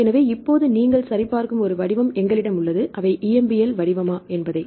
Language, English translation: Tamil, So, now, we have a very format you check, whether the EMBL format if you click in the EMBL format right